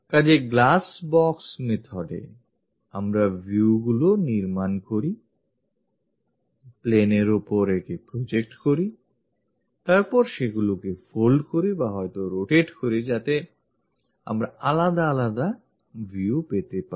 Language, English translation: Bengali, So, in glass box method, we construct these views, project it onto the planes, then fold them or perhaps rotate them so that different views, we will get